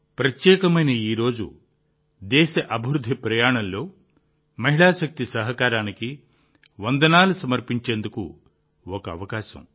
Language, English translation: Telugu, This special day is an opportunity to salute the contribution of woman power in the developmental journey of the country